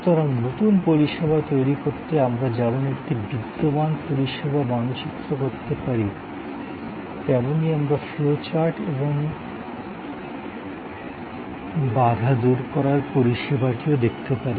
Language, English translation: Bengali, So, just as we can map an existing service to create a new service, we can look at the flow chart and debottleneck service